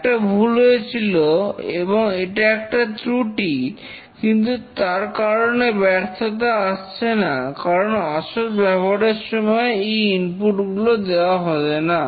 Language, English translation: Bengali, There was a mistake committed and that is a fault, but then that does not cause failure because those inputs are not given during the actual uses